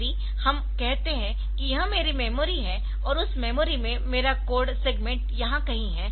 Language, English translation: Hindi, So, if we say that this is my this is my memory and in that memory so my code segment is somewhere here